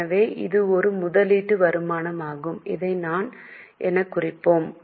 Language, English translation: Tamil, We have received dividend so it's an investment income, we will mark it as I